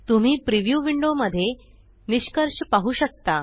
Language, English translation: Marathi, You can see the result in the preview window